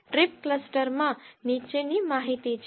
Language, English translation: Gujarati, Trip cluster has the following information